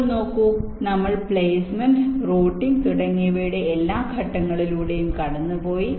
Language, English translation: Malayalam, now, see, we have gone through all these steps of placement, routing, etcetera, etcetera